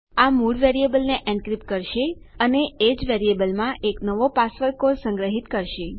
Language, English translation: Gujarati, This will encrypt our original variable value and store a new password code in the same variable